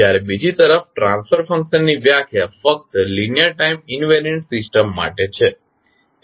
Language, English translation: Gujarati, While transfer function on the other hand are defined only for linear time invariant system